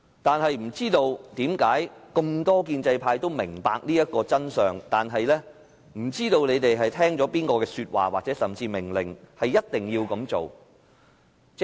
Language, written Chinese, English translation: Cantonese, 但是，這麼多建制派都明白這個道理，卻不知是聽了誰的說話，甚至命令，而一定要這樣做。, Nevertheless even though so many Members from the pro - establishment camp understand the reason they are bent on doing it . I wonder if they have heeded someones words or even orders